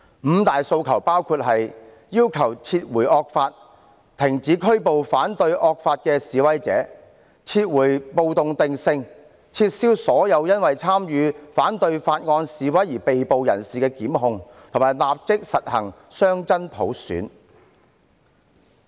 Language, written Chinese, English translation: Cantonese, "五大訴求"包括要求撤回惡法、停止拘捕反對惡法的示威者、撤回暴動定性、撤銷所有因為參與反對法案示威而被捕人士的檢控，以及立即實行雙真普選。, The five demands include the withdrawal of the draconian law ceasing arrests of protesters against the draconian law retracting the riot classification lifting prosecutions of arrested protesters against the Bill and immediate implementation of dual universal suffrage